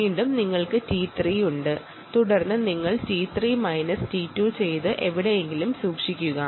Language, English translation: Malayalam, then you do t three minus t two